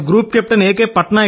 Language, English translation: Telugu, Sir I am Group Captain A